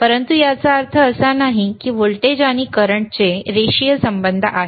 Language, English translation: Marathi, we will see, b But that does not mean that voltage and current have linear relationship